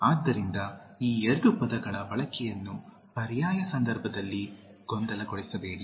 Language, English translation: Kannada, So, do not confuse the usage of these two words in alternate context